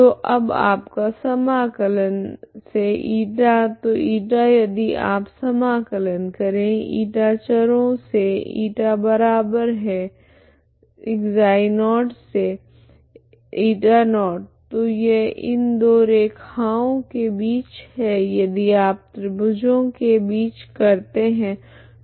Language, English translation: Hindi, So now your integration from, η so , η is if you integrate , η variable from , η equal to , ξ0 to , η0 so this between these two lines if you do that is the triangle